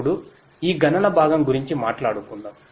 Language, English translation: Telugu, Now, let us talk about this computing part